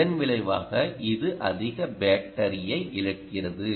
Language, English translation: Tamil, as a result, it dissipates more battery